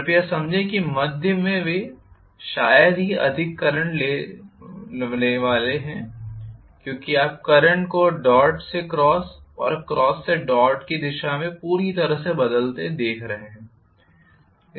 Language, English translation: Hindi, Please understand that in the cusp, they are hardly going to have much of current because you are looking at the current completely changing its direction from dot to cross and cross to dot